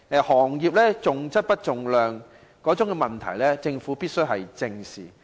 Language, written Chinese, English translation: Cantonese, 行業重量不重質的問題，政府必須正視。, The Government must face up to the problem of the industry emphasizing quantity over quality